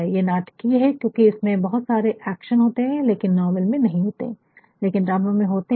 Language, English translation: Hindi, It is dramatic, because there is lot of action, there may not be action a novel, but in a drama there will be an action